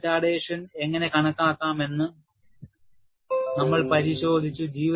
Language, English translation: Malayalam, And we had looked at how retardation can be calculated